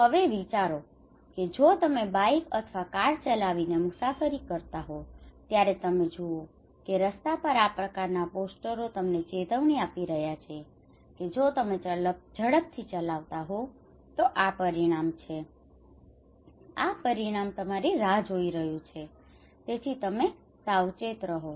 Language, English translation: Gujarati, Okay that you can you are travelling you were riding bike, or you were riding car you can see on roads that these posters that is alarming you that if you do rash driving this is the consequence, this is the result is waiting for you so be careful okay